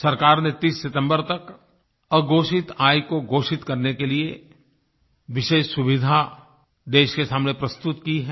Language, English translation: Hindi, The government has presented before the country a special facility to disclose undisclosed income by the 30th of September